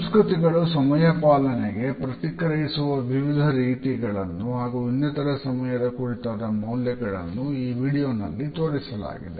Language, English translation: Kannada, The different ways in which cultures respond to punctuality and other time related values is nicely displayed in this video